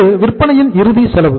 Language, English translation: Tamil, This is the final cost of sales